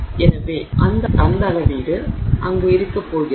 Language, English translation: Tamil, And so that measurement is going to be there